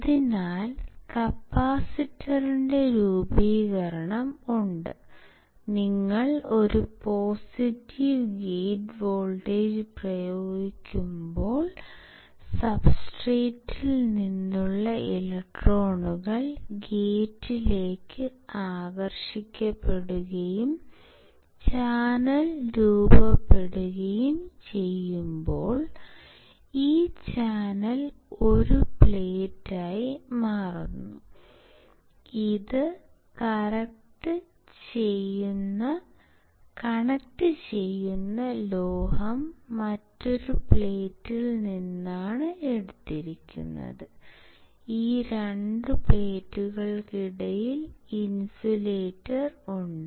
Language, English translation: Malayalam, So, here we can see that there is formation of capacitor, when you apply a positive gate voltage, and the due to which the electrons from the substrate gets attracted towards the gate and forms the channel, this channel forms 1 plate, the metal through which the conducts are taken is from another plate